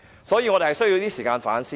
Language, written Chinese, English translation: Cantonese, 所以，我們需要一些時間去反思。, Therefore we need some time to reflect on what has happened